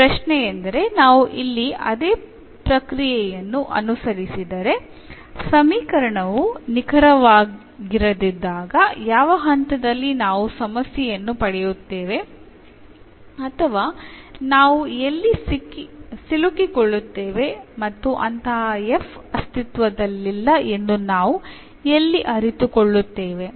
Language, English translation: Kannada, Now, the question is if we follow the same process here when the equation is not exact then at what point we will get the problem or where we will stuck, and where we will realize that such f does not exists